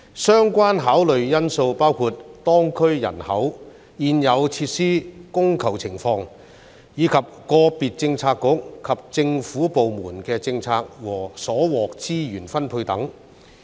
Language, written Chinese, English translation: Cantonese, 相關考慮因素包括當區人口、現有設施供求情況，以及個別政策局及政府部門的政策和所獲資源分配等。, The relevant factors for consideration include the population of the districts concerned provision of and demand for existing facilities as well as the policies of and allocation of resources to individual bureau and government department etc